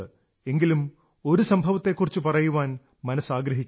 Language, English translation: Malayalam, However, I feel like sharing one particular incident